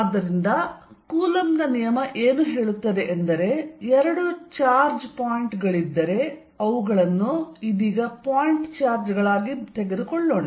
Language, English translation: Kannada, So, what Coulombs' law says is that if there are two charges points let us take them to be point charges right now